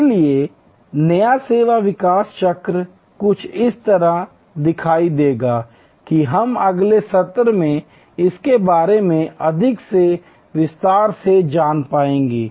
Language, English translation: Hindi, So, the new service development cycle will look somewhat like this we will get in to much more detail explanation of this in the next session